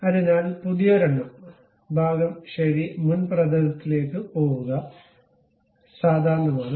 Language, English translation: Malayalam, So, a new one, part ok, go to front plane, normal to it